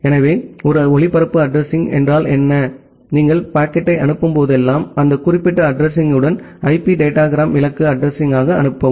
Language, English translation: Tamil, So, a broadcast address means if you send the packet, send the IP datagram with that particular address as the destination address